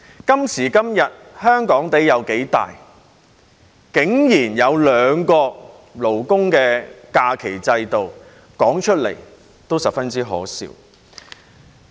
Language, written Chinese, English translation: Cantonese, 今時今日，香港有多大竟然要有兩個勞工假期制度，說出來也十分可笑。, Nowadays there are surprisingly two labour holiday systems in this tiny place of Hong Kong which is so ridiculous